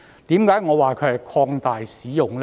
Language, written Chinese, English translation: Cantonese, 為何我說這是擴大使用呢？, Why do I describe this as an extension of use?